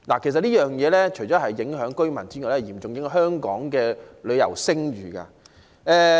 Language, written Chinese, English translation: Cantonese, 其實，這除了影響居民外，亦嚴重影響香港的旅遊聲譽。, Apart from affecting the residents in the vicinity such operations will tarnish Hong Kongs reputation as a tourist destination